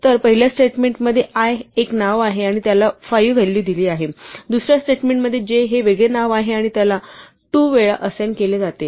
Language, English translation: Marathi, So, in the first statement i is a name and it is assigned a value 5; in the second statement, j is a different name and it is assigned an expression 2 times i